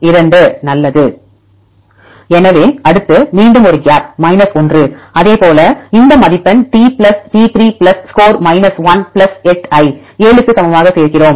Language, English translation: Tamil, So, next again a gap 1; likewise then we add this score T plus T 3 plus score 1 plus 8 equal to 7